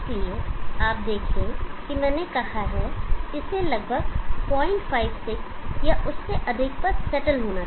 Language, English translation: Hindi, So you see that I said that it should settle at around 0